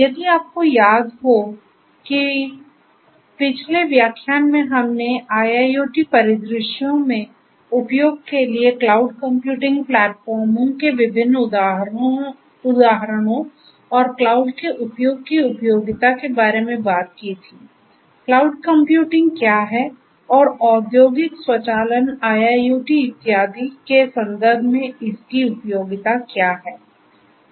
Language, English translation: Hindi, So, if you recall that in the previous lecture we talked about the different examples of cloud computing platforms for use in IIoT scenarios and also the usefulness of the use of cloud; cloud computing what it is and what is its usefulness in the context of industrial automation IIoT and so on